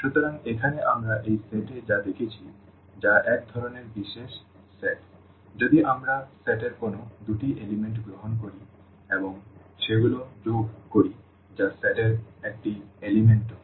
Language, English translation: Bengali, So, here what we have seen in this set which is a kind of a special set if we take any two elements of the set and add them that is also an element of the set